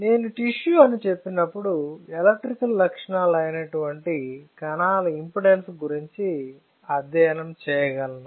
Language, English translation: Telugu, Now, when I say tissue, you can also study the change in the electrical properties that is the impedance of the cells